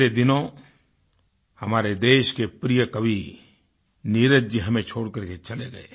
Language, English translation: Hindi, A few days ago, the country's beloved poet Neeraj Ji left us forever